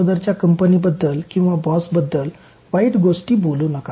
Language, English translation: Marathi, Not saying bad things about the previous company or the boss